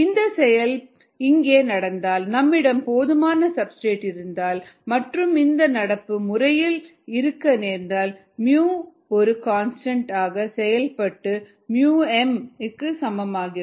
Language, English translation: Tamil, if it happens to be here, if you have enough substrate and you happen to be in this region, then mu becomes a constant, equals mu m